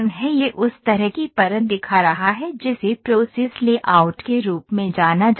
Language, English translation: Hindi, It is showing the kind of a layer that is known as a process layout